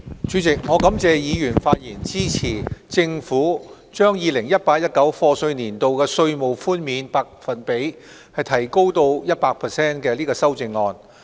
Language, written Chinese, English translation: Cantonese, 主席，我感謝議員發言支持政府將 2018-2019 課稅年度稅務寬免百分比提高至 100% 的修正案。, Chairman I am grateful to Members for their speeches made in support of the Governments amendment to raise the percentage for tax reduction for the year of assessment 2018 - 2019 to 100 %